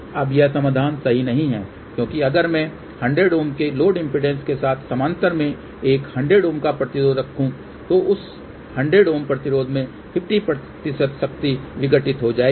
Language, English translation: Hindi, Now, that is a bad solution because if I put a 100 Ohm resistor in parallel with load impedance of 100 Ohm , then 50 percent power will get dissipated in that 100 Ohm resistor